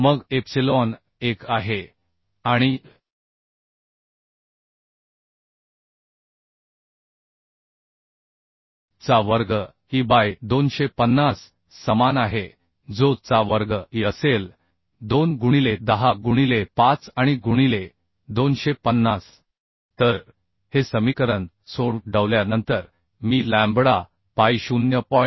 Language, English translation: Marathi, 3 epsilon is 1 and pi square into E is 2 into 10 to the power 5 by 250 So after calculation we can find lambda vv value as 1